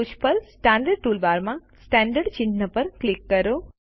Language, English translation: Gujarati, Click on Centered icon in the Standard toolbar at the top